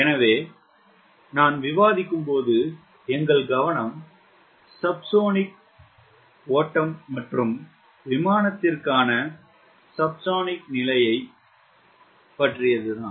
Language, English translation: Tamil, so far, when i was discussing, our attention was focused to subsonic flow aircraft for subsonic regime